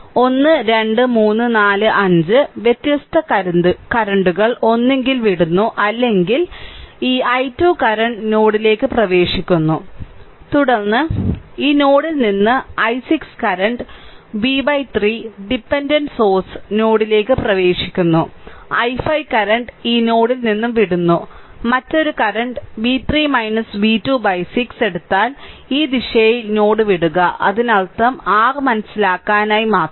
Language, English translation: Malayalam, So, 1 2 3 4 5 5 different currents will either leave or will this thing this i 2 current is entering into the node, then i 6 current leaving this node, v by 3 dependent source are entering into the node, i 5 current leaving this node, another current that is if you take v 3 minus v 2 by 6 also in this direction leaving the node right so; that means, that means just for your understanding